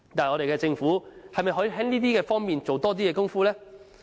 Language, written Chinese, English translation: Cantonese, 我們的政府又可否在這方面多下些工夫呢？, Can our Government make a greater effort in helping the applicants?